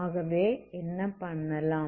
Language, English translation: Tamil, So this means what